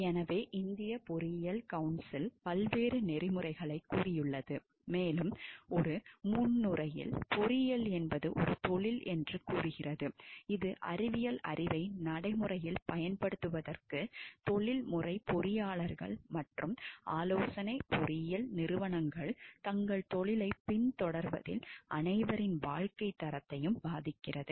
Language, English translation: Tamil, So, engineering council of India has stated various codes of ethics and in a preamble it states engineering is a profession that puts scientific knowledge to practical use, professional engineers and consulting engineering organizations in the pursuit of their profession affect the quality of life of all people in the society and quality of all sectors of economy